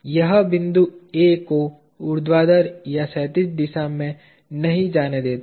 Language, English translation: Hindi, It does not allow the point A to move either in vertical or in horizontal direction